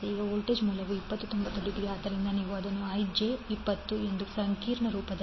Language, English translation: Kannada, Now the voltage source is 20 angle 90 degree so you can conveniently write it as j 20 in complex form